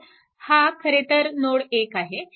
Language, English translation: Marathi, So, this is actually this is node 3 right